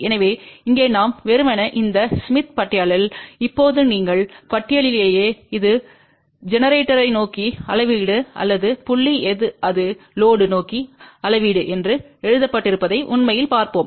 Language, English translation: Tamil, So, here we simply go to this and now on the smith chart you will actually see that it is also written that this is a measurement toward generator or this point here it will be measurement towards load